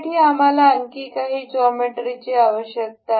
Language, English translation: Marathi, For this we need some other geometry